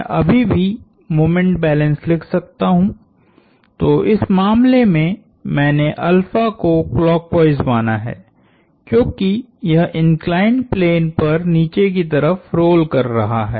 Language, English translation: Hindi, I can still write the moment balance, so in this case, I have assumed alpha to be clockwise, since it is rolling down the inclined plane